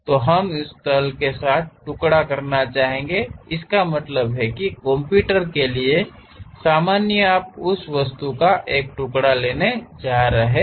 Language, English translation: Hindi, And, we would like to slice this along that plane; that means, normal to the computer you are going to take a slice of that object